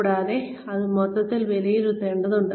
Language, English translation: Malayalam, And, it needs to be assessed, as a whole